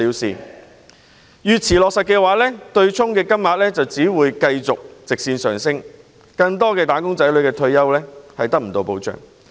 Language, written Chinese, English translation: Cantonese, 須知道越遲取消機制，對沖金額就會越高，令更多"打工仔女"無法得到退休保障。, For the longer the abolishment of the offsetting mechanism is deferred the greater the amount of money that would fall prey to offsetting rendering ever more wage earners lack of retirement protection